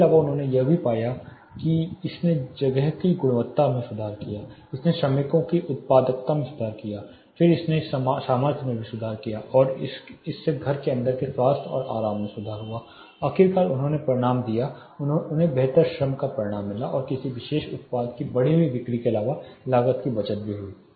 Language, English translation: Hindi, Apart from this they also found that it improve the quality of the space, it improved the productivity of the workers then it also improved the salability it improved the health and comfort indoors finally, they resulted, they perceived a result of better labor and cast saving apart from an increased sale of particular product which are you know which was there